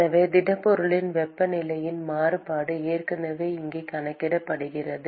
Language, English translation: Tamil, So, the variation of temperature inside the solid is already accounted for here